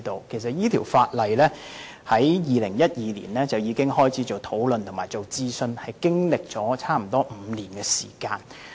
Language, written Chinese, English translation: Cantonese, 其實，當局由2012年起已開始討論這項法例和進行諮詢，經歷了差不多5年時間。, Since Mr KWONG is a new Member he may not be aware that the Government has initiated the discussions and consultations on the legislation since 2012 and almost five years have passed